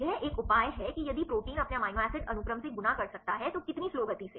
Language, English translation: Hindi, It is a measure of how fast a slow if protein can fold from its amino acid sequence